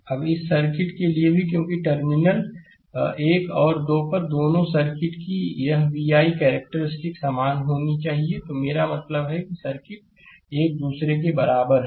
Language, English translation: Hindi, Now, for this circuit also because at terminal one and two, this vi characteristic of both the circuit has to be same it is I mean the circuits are equivalent to each other